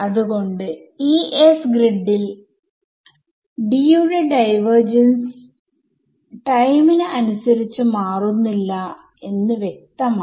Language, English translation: Malayalam, So, over this grid S which I have shown over here, it is clear that del that the divergence of D does not change in time